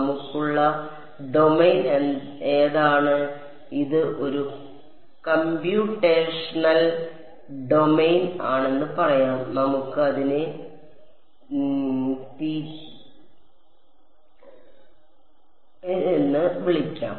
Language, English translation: Malayalam, What is the domain that we have, let us say some this is a computational domain, let us call it capital omega ok